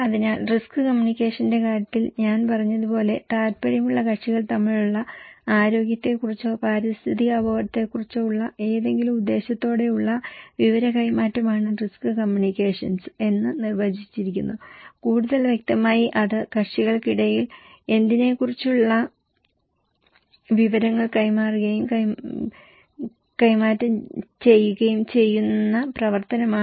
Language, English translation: Malayalam, So, in case of risk communication, as I said, risk communication is a defined as any purposeful exchange of information about health or environmental risk between interested parties, more specifically it is the act of conveying, transmitting information between parties about what